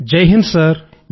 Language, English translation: Telugu, Jai Hind Sir